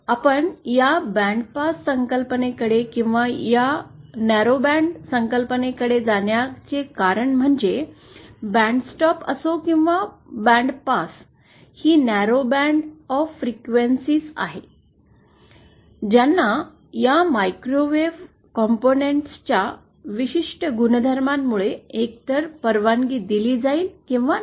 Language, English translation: Marathi, The reason we go to this bandpass concept or this narrowband concept whether it is bandstop or bandpass, that is a narrow band of frequencies which will be either allowed or which will be either past or attenuated is because of the special properties of these microwave microwave component